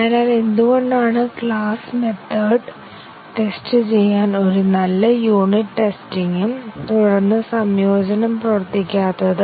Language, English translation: Malayalam, So, why is class a good unit of testing and testing the methods and then integrating will not work